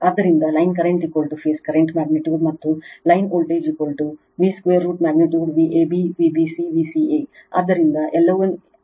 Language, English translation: Kannada, So, line current is equal to phase current magnitude right and line voltage is equal to v square magnitude V a b V b c V c a, so they are all same